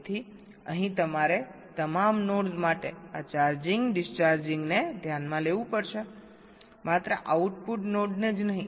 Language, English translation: Gujarati, so here you have to consider this charging, discharging for all the nodes, not only the output node, right